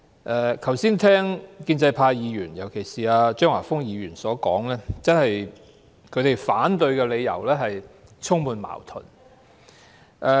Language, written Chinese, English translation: Cantonese, 我剛才聽建制派議員，尤其是張華峰議員的發言，他們反對的理由真是充滿矛盾。, While listening to the speeches of the pro - establishment Members just now particularly the one given by Mr Christopher CHEUNG I was struck by their arguments which were indeed full of contradictions